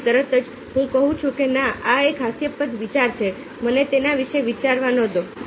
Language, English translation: Gujarati, then immediately i say that not, this is a ridicules idea, let me not think about it now